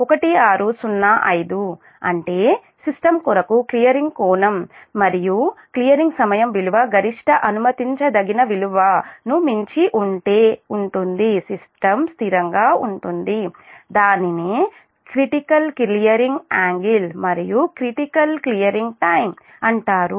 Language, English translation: Telugu, the maximum allowable value of the clearing angle and clearing time for the system to remain stable are known as critical clearing angle and critical clearing time